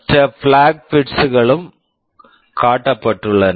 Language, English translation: Tamil, The other flag bits are also shown